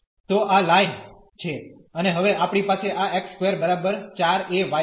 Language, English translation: Gujarati, So, this is the line and now we have this x square is equal to 4 a y